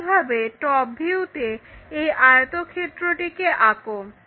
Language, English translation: Bengali, Similarly, in thetop view draw this rectangle